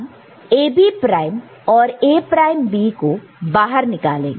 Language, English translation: Hindi, You take AB prime and A prime B out over here